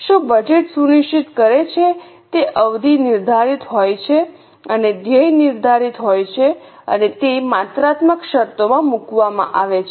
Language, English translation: Gujarati, What budget ensures is a period is defined and the goal is defined and is put down in the quantitative terms